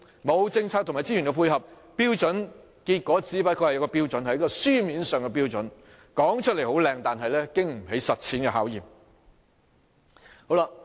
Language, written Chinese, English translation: Cantonese, 沒有政策及資源配合，標準終究只是一個標準，一個書面上的標準，說出來動聽，但經不起實踐的考驗。, Without the support in terms of policies and resources a standard will only be a standard a written standard that sounds pleasant but cannot stand the test of practice